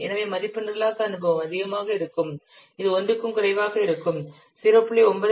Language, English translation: Tamil, 17 and but programming experience is high so value will be if programming experience is high it will be less than 1 so 0